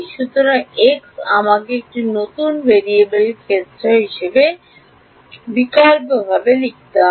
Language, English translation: Bengali, So, x I have to write as now substitute in terms of the new variables right